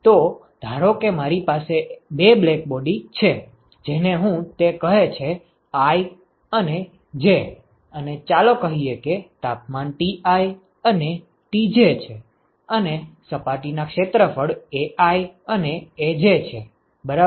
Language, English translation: Gujarati, So, suppose I have two black bodies I call it i and j and let us say that the temperatures are Ti and Tj and the surface area are Ai and Aj ok